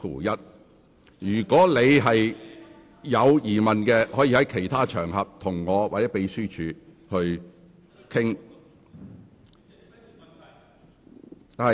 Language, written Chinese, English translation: Cantonese, 如果你有疑問，可以在其他場合與我或秘書處商討。, If you have any query you may wish to discuss with me or the Secretariat on other occasions